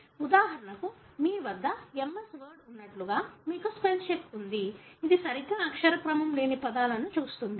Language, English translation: Telugu, Like for example you have, MS word you have a spell check which looks into words that are not spelt properly